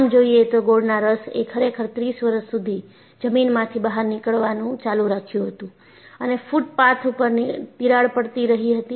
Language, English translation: Gujarati, In fact, the molasses actually continued to creep out of the ground and cracks in the sidewalks for 30 years